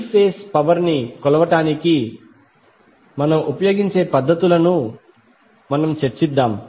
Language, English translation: Telugu, Let us discuss the techniques which we will use for the measurement of three phase power